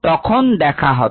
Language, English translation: Bengali, see you then